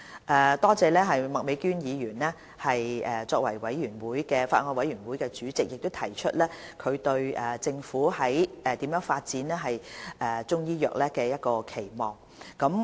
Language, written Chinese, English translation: Cantonese, 我多謝麥美娟議員以法案委員會主席身份，提出對政府發展中醫藥的期望。, I thank Ms Alice MAK Chairman of the Bills Committee for expressing the aspiration of the Bills Committee for the development of Chinese medicine